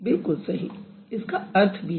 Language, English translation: Hindi, Yes, it does have meaning